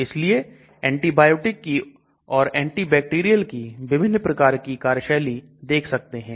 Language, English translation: Hindi, So you can see different type of mode of action antibiotics antibacterial drug